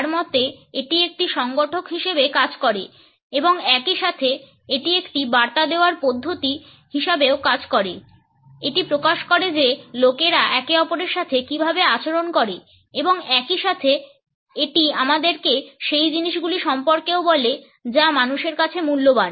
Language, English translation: Bengali, In his opinion it acts as an organizer and at the same time it also acts as a message system it reveals how people treat each other and at the same time it also tells us about the things which people value